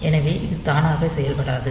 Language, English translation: Tamil, So, it is not automatic